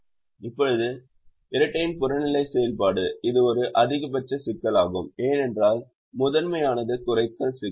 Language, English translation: Tamil, now the objective function of the dual it's a maximization problem, because the primal is the minimization problem